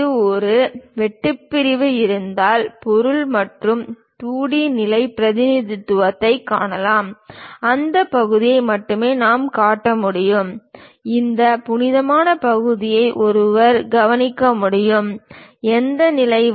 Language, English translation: Tamil, In case if we have a cut section, we can clearly see the material and a 2 D level representation; we can show only that part, where this hollow portion one can note it, up to which level